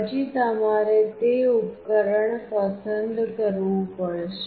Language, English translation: Gujarati, Then you have to select that device